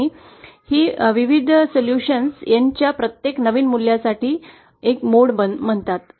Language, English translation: Marathi, And these various solutions for every new values of N are called the various modes